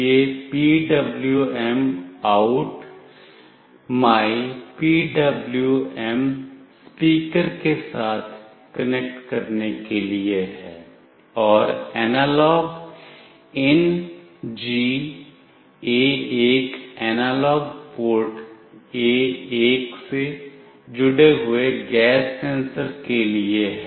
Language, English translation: Hindi, This is PWMOut mypwm is for connecting with the speaker and AnalogIn G is for the gas sensor connecting to analog port A1